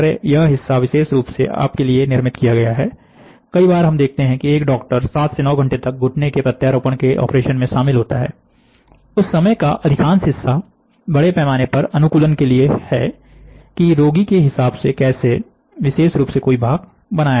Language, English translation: Hindi, So, this part is custom made for you, many a times you will, you can see that doctors are involved in doing a, a knee implant operation for 7 hours and 9 hours, the majority of the time is towards mass customisation, how do we custom make this to the patient